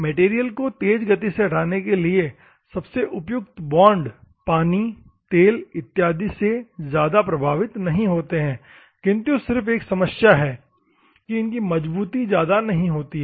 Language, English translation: Hindi, Bond suited for rapid removal of the material not affected by the oil water or something the only problem with this one is the strength may not be very high